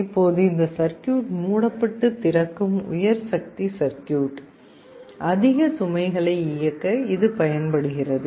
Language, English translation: Tamil, Now this circuit which closes and opens is a high power circuit, this can be used to drive a high load